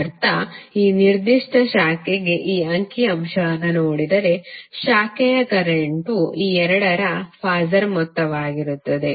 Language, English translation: Kannada, That means if you see this figure for this particular branch, the branch current would be phasor sum of these two